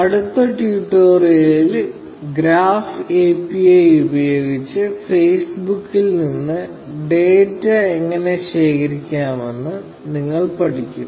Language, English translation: Malayalam, In the next tutorial, we learn how to collect data from Facebook, using the graph API